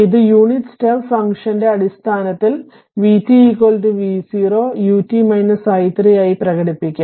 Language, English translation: Malayalam, It can be expressed in terms of unit step function as v t is equal to v 0 u t minus t 0